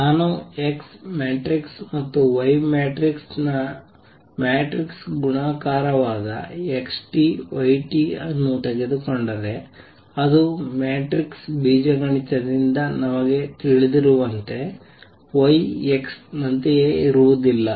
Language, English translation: Kannada, If I take xt yt, which is the matrices multiplication of X matrix and Y matrix it is not the same as Y X as we know from matrix algebra